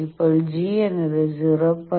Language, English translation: Malayalam, Now G is equal to 0